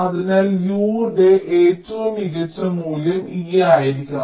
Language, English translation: Malayalam, so u, the optimum value of u, should be e